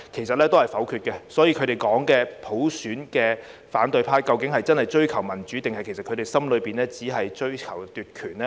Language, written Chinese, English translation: Cantonese, 所以，反對派說要追求普選，究竟真的是要追求民主，還是內心只是追求奪權？, As such when the opposition says they want to pursue universal suffrage do they really want to pursue democracy or do they just want to seize power deep in their hearts?